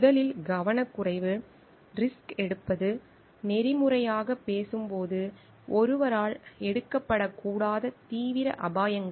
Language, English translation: Tamil, First is recklessness, taking risk, serious risks that ethically speaking should not be taken by one while conducting a research